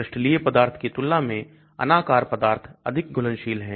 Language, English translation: Hindi, Amorphous material is more soluble than crystalized material